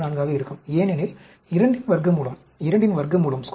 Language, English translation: Tamil, 414, because square root of 2 is 1